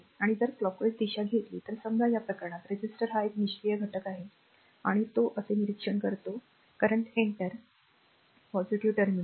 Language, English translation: Marathi, You have to mark it , and if you take clock wise direction suppose in this case ah resister is a passive element and it observe power so, current entering into the positive terminal